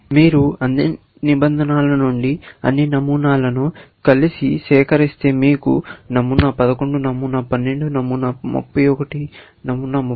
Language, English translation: Telugu, If you collect together, all the patterns from all the rules, then you would have pattern 11, pattern 12, pattern, let us say, 31, pattern 32